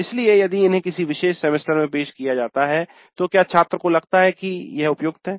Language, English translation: Hindi, So if it is offered in a particular semester do the students feel that that is an appropriate one